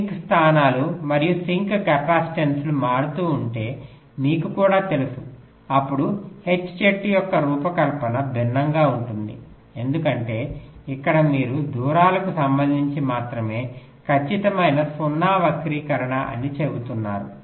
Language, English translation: Telugu, also, if the sink locations and sink capacitances are vary[ing], then the design of the h tree will be different, because here you are saying exact zero skew only with respect to the distances